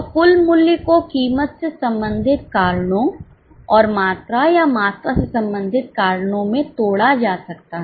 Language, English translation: Hindi, So, total value can be broken into price related reasons and quantity or volume related reasons